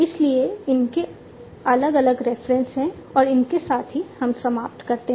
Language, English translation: Hindi, So, with these are the different references and with this we come to an end